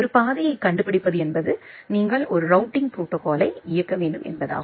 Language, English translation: Tamil, Finding a path means you need to execute a routing protocol